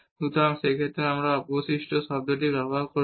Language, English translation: Bengali, So, in that case we will use make use of the remainder term directly